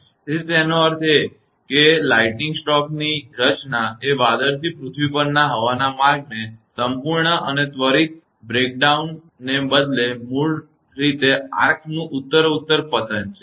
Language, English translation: Gujarati, So; that means, the formation of a lightning stroke is basically a progressive break down of the arc path, instead of the complete and instantaneous breakdown of the air path from the cloud to the earth